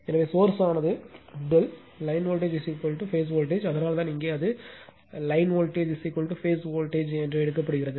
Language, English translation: Tamil, So, source is delta, line voltage is equal to phase voltage, that is why here it is taken line voltage is equal to phase voltage